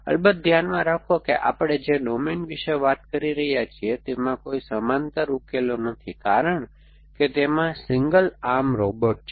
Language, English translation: Gujarati, So, of course keep in mind that domain that we are talking about has no parallel solutions because it has single arm robot